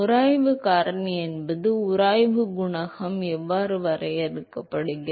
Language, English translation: Tamil, How is the friction factor and friction coefficient defined